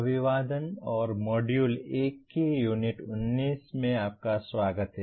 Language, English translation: Hindi, Greetings and welcome to Unit 19 of Module 1